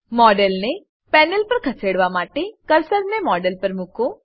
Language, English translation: Gujarati, To move the model on the panel, place the cursor on the model